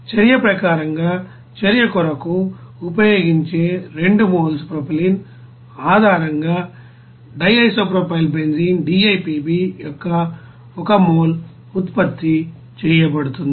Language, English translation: Telugu, In that case as per reaction 1 mole of the DIPB will be produced based on 2 moles of propylene used for the reaction